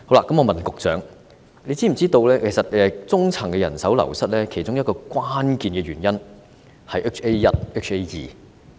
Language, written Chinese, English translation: Cantonese, 我想問局長是否知悉，中層醫療人手流失的其中一個關鍵原因是 HA1 和 HA2。, I would like to ask if the Secretary knows that one of the key reasons for the wastage of middle - level health care workers is related to HA1 and HA2